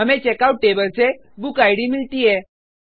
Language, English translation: Hindi, We get bookid from Checkout table